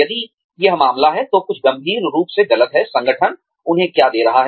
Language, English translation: Hindi, If, that is the case, then there is something seriously wrong, with what the organization is giving them